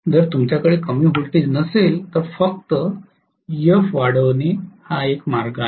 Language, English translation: Marathi, If you cannot have lower voltage only way is to increase Ef